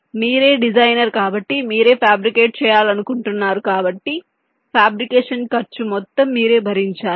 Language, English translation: Telugu, so means you are a designer, you want to fabricate, so the entire cost of fabrication have to be borne by you